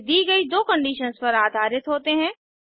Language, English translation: Hindi, These are based on the two given conditions